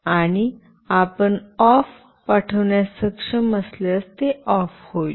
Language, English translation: Marathi, And if you are able to send “OFF”, it will be switched off